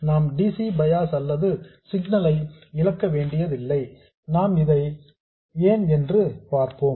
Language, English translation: Tamil, We don't have to lose either the DC bias or the signal and we will see why